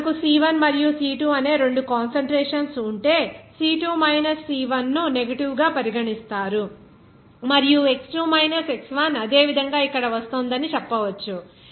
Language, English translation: Telugu, Then we can say that if there are two concentrations here C1 and C2, then C2 minus C1 will be regarded as negative one and then x2 minus regarding you can say that x2 minus x1 similarly here it will be coming